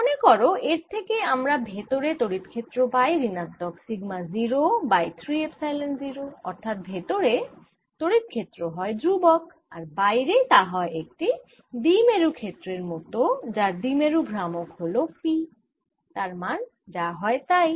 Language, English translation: Bengali, recall that this gave us the magnetic with the electric field inside the shell as minus sigma zero over three, epsilon zero, a constant electric field, and outside it was like a dipolar field with a dipole movement, p, whatever that comes out to be now